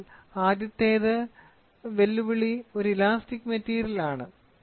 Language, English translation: Malayalam, So, the first one the challenges it is an elastic material